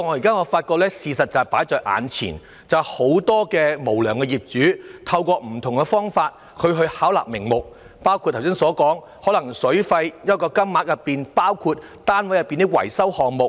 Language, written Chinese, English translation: Cantonese, 可是，事實擺在眼前，很多無良業主確實透過不同方法巧立名目，包括剛才提到在水費金額計入單位內部的維修項目費用。, It is however a hard fact that many unscrupulous landlords have resorted to different means and found all sorts of excuses to exploit their tenants such as the trick mentioned just now to include the costs of internal maintenance works of the premises in the water fees